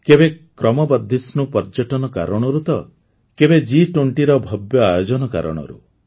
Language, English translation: Odia, Sometimes due to rising tourism, at times due to the spectacular events of G20